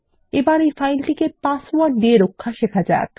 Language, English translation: Bengali, First let us learn to password protect this file